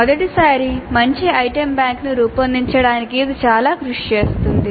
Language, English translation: Telugu, So it does take considerable effort to create good item bank for the first time